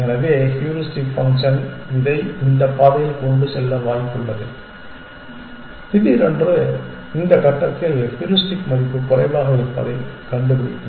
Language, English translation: Tamil, So, it is possible that the heuristic function will take it down this path and suddenly it will discover that the heuristic value has short of at this stage